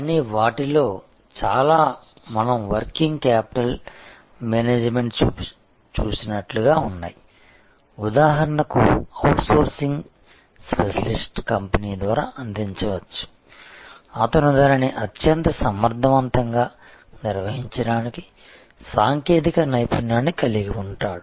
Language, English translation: Telugu, But, many of them are as we saw working capital management for example, can be provided by a outsourced specialist company, who has the technology expertise to manage that most efficiently